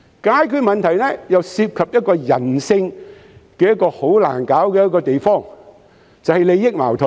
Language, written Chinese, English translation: Cantonese, 解決問題又涉及人性中很難處理的地方，就是利益矛盾。, Problem solving involves conflicts of interests the most difficult area to deal with in human nature